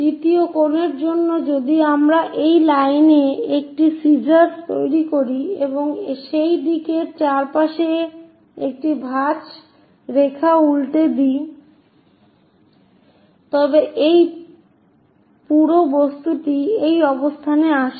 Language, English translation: Bengali, For third angle thing if we are making a scissor in this line and flip it a folding line around that direction, this entire object comes to this location